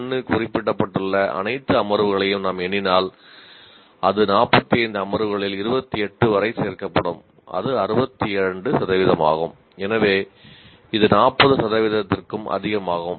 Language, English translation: Tamil, If I count all the sessions where PO1 is mentioned, it will add up to 28 out of the 45 sessions and that is 62 percent